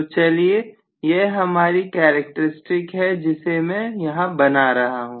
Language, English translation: Hindi, So let us say this is my characteristics that I am trying to draw